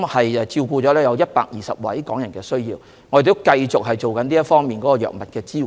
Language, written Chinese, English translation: Cantonese, 我們照顧了大約120位港人的藥物需要，並會繼續提供這方面的支援。, We have catered for the needs of about 120 Hong Kong people for medicines and we will continue to provide support in this regard